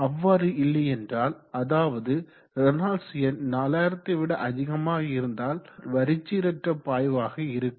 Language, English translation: Tamil, Else if the value of the Reynolds number of greater than 4000 and we say that the flow is turbulent